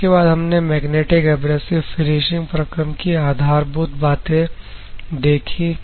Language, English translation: Hindi, Then you are going to feed to the magnetic abrasive finishing process